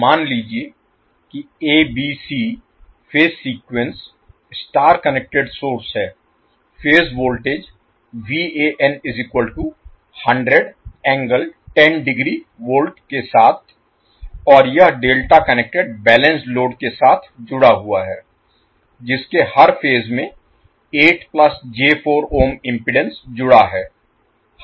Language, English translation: Hindi, Suppose there is A, B, C phase sequence star connected source with the phase voltage Van equal to 100 angle 10 degree and it is connected to a delta connected balanced load with impedance 8 plus J 4 Ohm per phase